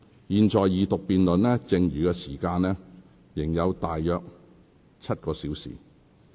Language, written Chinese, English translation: Cantonese, 現在二讀辯論剩餘的時間仍有大約7個小時。, Right now there are still about seven hours left for the Second Reading debate